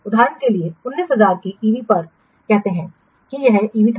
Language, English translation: Hindi, For example, say an EV of 19,000 was supposed this EV